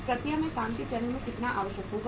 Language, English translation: Hindi, How much will be required at the work in process stage